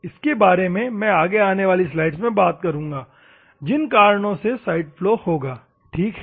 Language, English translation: Hindi, I will come into that upcoming slides they because of which side flow will occur, ok